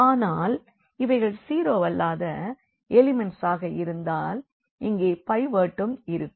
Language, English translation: Tamil, But, if these are the nonzero elements if these are the nonzero elements then there will be also a pivot here